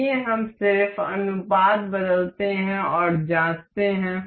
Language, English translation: Hindi, Let us just change the ratio and check that